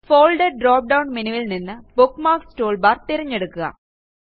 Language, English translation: Malayalam, From the Folder drop down menu, choose Bookmarks toolbar